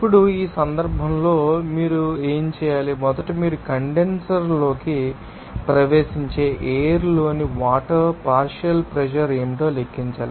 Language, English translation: Telugu, Now, in this case, what you have to do, first of all you have to calculate what should be the partial pressure of water in the air that is entering the condenser